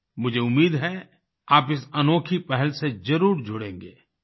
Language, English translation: Hindi, I hope you connect yourselves with this novel initiative